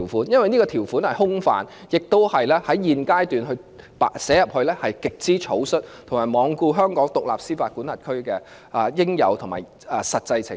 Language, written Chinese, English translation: Cantonese, 因為此條款內容空泛，而且在現階段寫入條文亦極為草率，也罔顧香港作為獨立司法管轄區應有的實際情況。, It is because the provision is too vague and it is too hasty to include the provision in the Bill . The Administration has taken no heed to the actual situation of Hong Kong as an independent jurisdiction